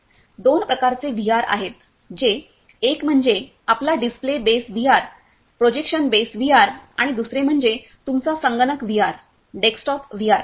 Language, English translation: Marathi, There are two kinds of VR that is one is your come display base VR, projection based VR and second is your computer VR desktop VR